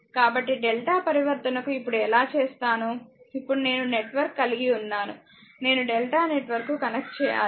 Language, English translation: Telugu, So, that how we will do it that now star to delta transforming now we have I have a star network now what I have to do is, I have to conveyor to delta network right